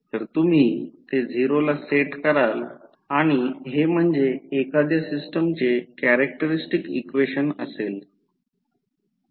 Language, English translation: Marathi, So, you will set this equal to 0, so this will be nothing but the characteristic equation of the system